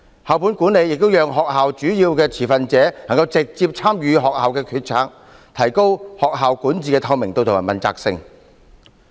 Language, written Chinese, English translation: Cantonese, 校本管理亦讓學校主要的持份者能夠直接參與學校決策，提高學校管治的透明度和問責性。, School - based management also allows major stakeholders of schools to participate direct in their decision - making thus enhancing the transparency and accountability of school governance